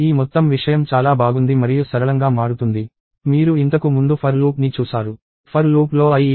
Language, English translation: Telugu, This whole thing becomes very nice and simple; you have seen the for loop before